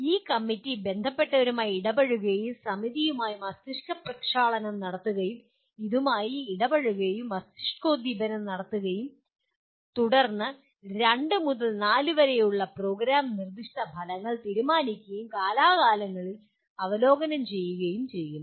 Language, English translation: Malayalam, This committee will, the stakeholders interact and brainstorms with the committee will interact and brainstorms with this and then decides and periodically reviews Program Specific Outcomes which are two to four in number